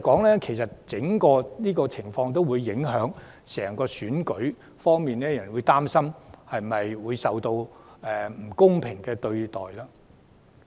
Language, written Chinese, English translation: Cantonese, 上述安全問題，會影響選舉的整個過程，令人擔心遭受不公平對待。, The above security problems would affect the entire electoral process making people worry that they would be treated unfairly